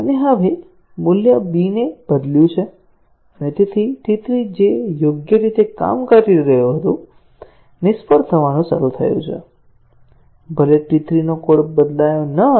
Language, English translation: Gujarati, And now, we have changed the value b and therefore, T 3 which was working correctly, has started fail, even though none of the code of T 3 was changed